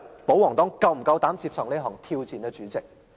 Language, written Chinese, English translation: Cantonese, 保皇黨是否夠膽接受這項挑戰？, Does the pro - Government camp have the courage to accept the challenge?